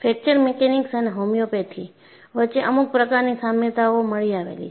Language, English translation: Gujarati, And some kind of an analogy exists, between fracture mechanics and homeopathy